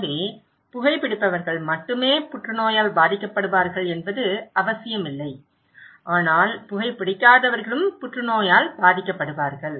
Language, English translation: Tamil, So, it is not necessarily that only those who are smokers they will be affected by cancer but also those who are nonsmoker can also affected by cancer right